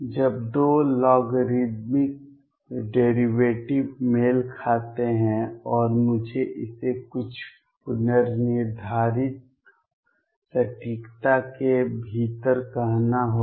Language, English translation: Hindi, When the 2 logarithmic derivatives match, and I have to say it within some predefined accuracy